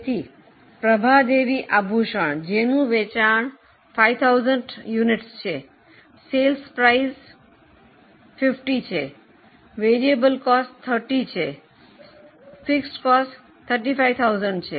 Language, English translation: Gujarati, So, Prabha Devi ornaments, they have sales of 5,000 units, sale price is 50, variable cost is 30, fixed cost is 35,000